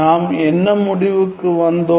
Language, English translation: Tamil, So, what conclusion have we found